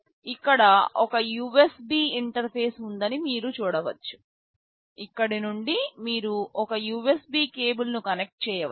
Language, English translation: Telugu, You can see there is a USB interface out here, from here you can connect a USB cable